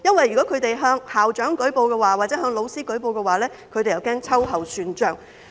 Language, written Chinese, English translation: Cantonese, 如果他們向校長或老師舉報，他們又怕被秋後算帳。, If they report it to the principal or teachers they are afraid of reprisal